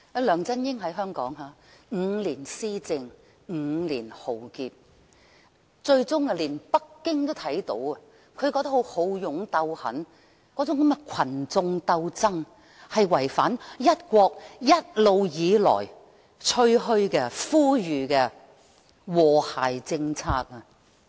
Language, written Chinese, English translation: Cantonese, 梁振英在香港施政5年，帶來5年浩劫，最終連北京也看到他那種好勇鬥狠性格和群眾鬥爭路線，是違反了在"一國"原則下一直以來吹噓和呼籲實行的和諧政策。, The five - year administration of LEUNG Chun - ying has brought to Hong Kong a five - year catastrophe . Finally even Beijing has come to realize that his bellicose nature and approach of inciting infighting among the people all run counter to the policy of harmony which it flaunts and calls on us to implement under the principle of one country